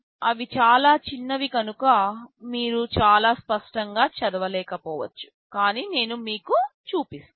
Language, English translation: Telugu, Many of them are very small you may not be able to read very clearly, but I am telling you